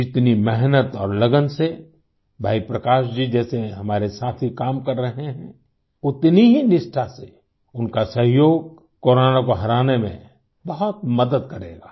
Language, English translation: Hindi, The kind of hard work and commitment that our friends like Bhai Prakash ji are putting in their work, that very quantum of cooperation from them will greatly help in defeating Corona